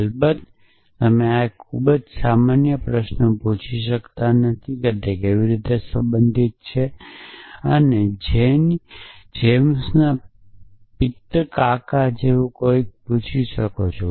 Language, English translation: Gujarati, Off course, you cannot ask this very generic question is to how it is related you can ask something like whose Janes paternal uncle